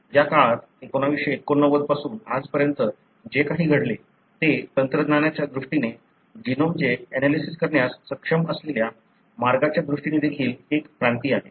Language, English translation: Marathi, What had happened during this period, since 1989 to now is, is also a revolution in terms of the technologies, in terms of the ways by which you are able to analyse the genome